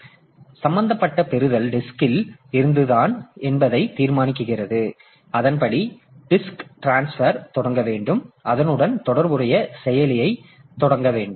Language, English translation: Tamil, So, the OS determines that the interrupt received is from the disk and accordingly it has to initiate the disk transfer, initiate the corresponding action